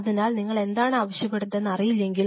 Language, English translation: Malayalam, So, unless you know what you are asking for